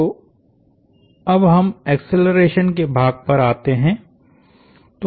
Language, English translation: Hindi, So, now, let us get to the acceleration part